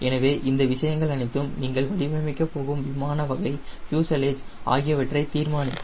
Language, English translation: Tamil, so all this things will decide the type of aircraft fuselage you are going to design